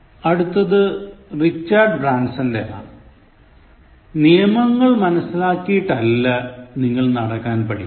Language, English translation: Malayalam, Look at the next one, from Richard Branson, he says, “You don’t learn to walk by following rules